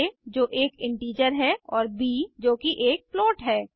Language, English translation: Hindi, a which is an integer and b which is a float